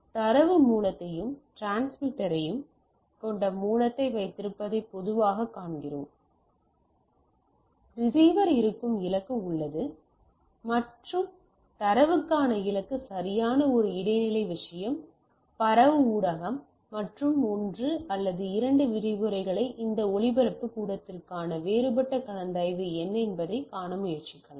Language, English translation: Tamil, So, out of what we typically see you have the source which is having source data source and the transmitter, you have the destination which has the receiver and the destination for the data right an intermediate thing is that transmitted media and we will we will try to see that what are the different consideration for this transmission media for in one or two lectures